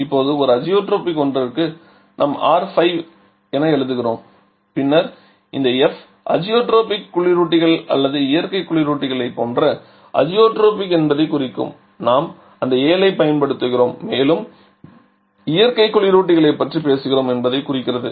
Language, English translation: Tamil, Now for a Azotropic one we write R5 then something else where this F indicates to the Azotropic like for inorganic refrigerants or natural refrigerants we use that 7 and to indicate we are talking about natural refrigerants